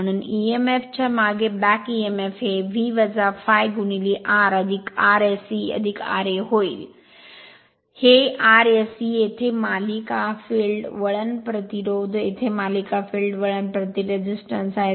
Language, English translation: Marathi, Therefore back Emf that E b the back Emf will be V minus I a into R plus R s e plus r a, this R s e is the series field winding resistance here here here series field winding resistance